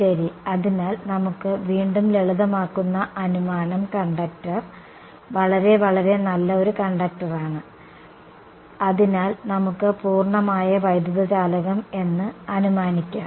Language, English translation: Malayalam, Right; so, again simplifying assumption we can make is that the conductor is a very very good conductor, let us so assume perfect electric conductor